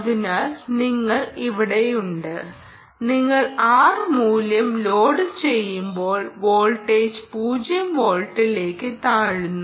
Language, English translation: Malayalam, so you are here, and as you keep loading the r value, the voltage will keep dropping